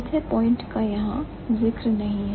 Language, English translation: Hindi, So, the fourth point is not mentioned here